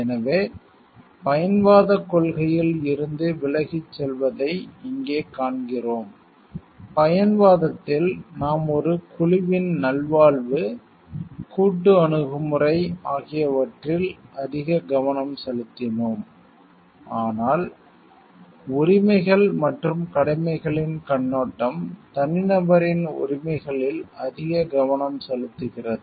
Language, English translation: Tamil, So, here we see a departure from the utilitarian concept, if you remember in utilitarianism we were more focused on the wellbeing of a group of people the collectivist approach, but rights and duties perspective are focusing more on the rights of the individual